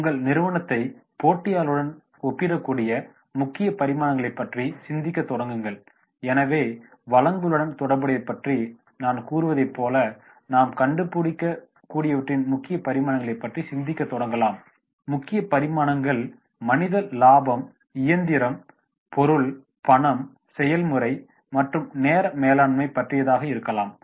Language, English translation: Tamil, Start thinking of the key dimensions by which you can compare your company with competitors, so therefore we can start thinking of the key dimensions of what we can find out like I was talking about related to resources, key dimensions may be the resources that is man, machine, material, money, method and minutes